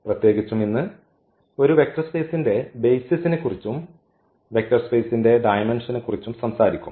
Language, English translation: Malayalam, In particular today will be talking about the basis of a vector space and also the dimension of a vector space